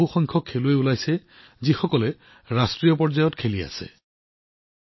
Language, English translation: Assamese, A large number of players are emerging from here, who are playing at the national level